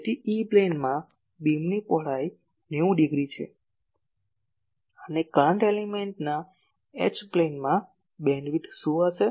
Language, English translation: Gujarati, So, in the E plane , the beam width is 90 degree and in the H plane of the current element , what will be the bandwidth